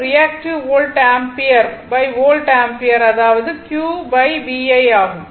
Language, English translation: Tamil, So, reactive volt ampere by volt ampere that is Q upon VI right